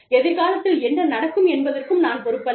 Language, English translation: Tamil, I am not responsible for, what happens in future